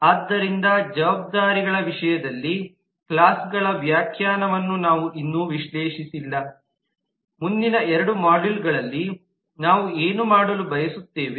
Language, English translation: Kannada, so we have not yet analyzed the interpretation of the classes in terms of the responsibilities which we will what we would like to do in the next couple of modules